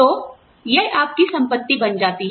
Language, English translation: Hindi, So, it becomes your property